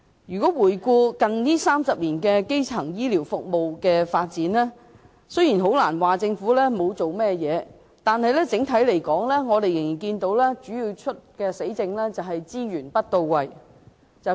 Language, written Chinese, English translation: Cantonese, 回顧過去近30年的基層醫療服務發展，雖然不能說政府沒有下工夫，但整體而言，我們看見主要的問題仍然是資源不到位，說比做多。, Let us look back at the development of primary health care over the past 30 years . We cannot say that the Government has not done anything . But generally the main problem as we can see is that resource allocation is still not to the point and we hear empty talks more often than seeing concrete actions